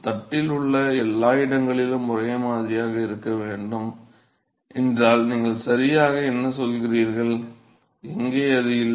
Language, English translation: Tamil, If it were to be same at every location along the plate then what do you say right, where it is not the same